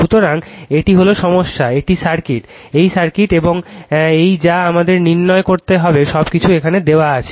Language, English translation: Bengali, So, this is the problem, this is the circuit, this is the circuit, and this is the what we have to determine everything is given here right